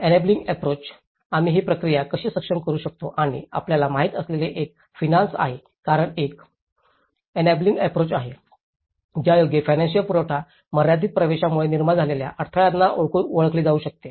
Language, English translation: Marathi, The enabling approach, how we can enable this process and one is the finance you know because this is one the enabling approach recognizes the bottleneck to housing created limited access to finance